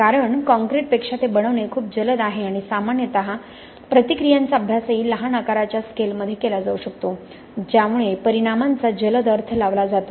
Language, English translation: Marathi, Because it is much faster to make then concrete and generally the reactions also can be studied in a much smaller size scale that leads to a quicker interpretation of the results, okay